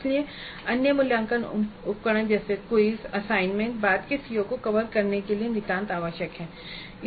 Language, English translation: Hindi, So, the other assessment instruments like a quiz or an assignment would become absolutely essential to cover the later COS